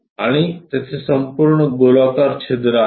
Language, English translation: Marathi, And there is a whole circular hole